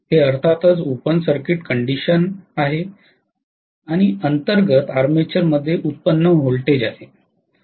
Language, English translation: Marathi, This is the generated voltage in the armature under open circuit condition ofcourse